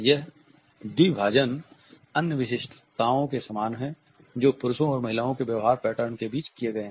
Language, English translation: Hindi, This dichotomy is similar to other distinctions which have been made between the behavior patterns of men and women